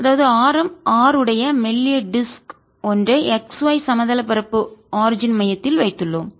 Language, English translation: Tamil, so we are taking about a thin disc of radius r placed with the center at the origin and it's in the x y plane